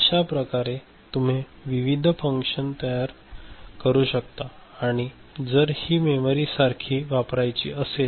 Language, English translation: Marathi, So, you can generate different functions and if we wish to use this as a memory ok